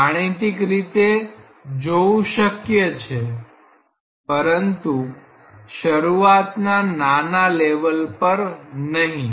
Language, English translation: Gujarati, It is possible to look into that mathematically, but not in such an elementary level